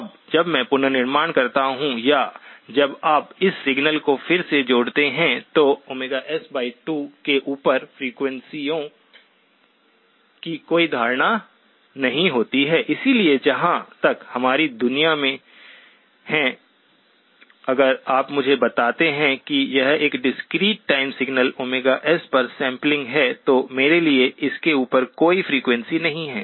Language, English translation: Hindi, Now, when I reconstruct or when you reconstruct this signal, there is no notion of frequencies above Omega S by 2 because as far as in our world, if you tell me it is a discrete time signal sampled at Omega S, then to me there is no frequency above that